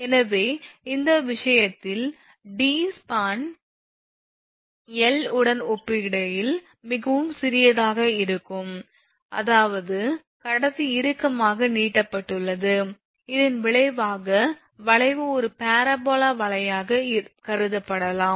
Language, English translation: Tamil, So, in this case that when sag your d is very small when d is very small in comparison to span L, that is that conductor is tightly stretched, the resultant curve can be considered as a parabola right